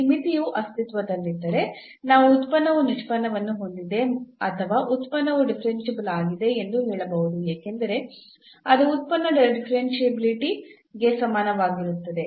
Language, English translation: Kannada, So, if this limit exists we call that the function has derivative or the function is differentiable because that was equivalent to the differentiability of the function